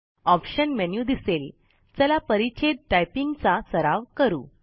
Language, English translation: Marathi, The Options menu appears.Now lets practice typing phrases